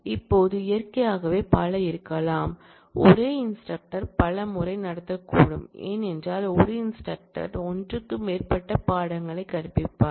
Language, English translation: Tamil, Now, naturally there could be multiple the same instructor could happen multiple times, because an instructor may be teaching more than one course